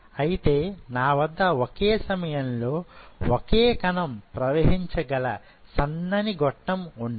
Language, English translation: Telugu, So, I have something like this a very narrow tube through which only one cell at a time can flow